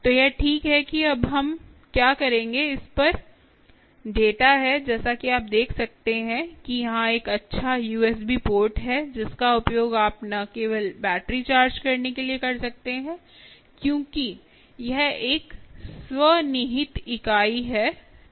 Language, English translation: Hindi, ok, so this is exactly what we will do now, ah, now that there is data on this, as you can see, there is a nice a u s b port here, ah, which you can use, or not only for charging the battery, because this is a self contained unit